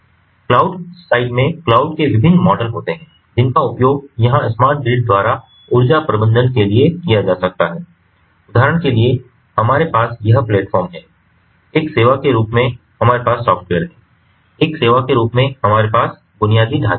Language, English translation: Hindi, so this is very interesting because, you know so, on the cloud side there are different models of cloud which can be utilized over here by the smart grid for energy management, for example, we have this ah platform as a service, we have the software as a service, we have the infrastructure as a service